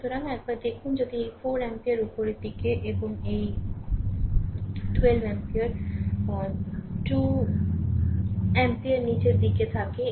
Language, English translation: Bengali, So, once now once if you so, if you look into this that a this 4 ampere is upward, and 12 ampere 2 ampere is downwards right